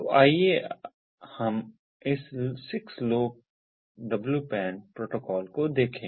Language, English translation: Hindi, so let us look at this six lowpan protocol